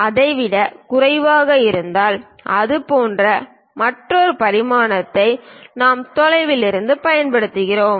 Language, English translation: Tamil, If it is less than that we use other dimension from away, like that